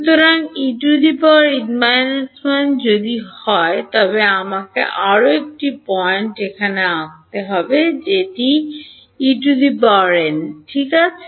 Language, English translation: Bengali, So, if E n minus 1 then let me draw one more point over here this will be E n ok